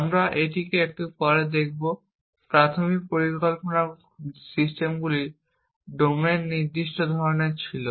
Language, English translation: Bengali, We will look at this in little bit while, the early planning systems were kind of domain specific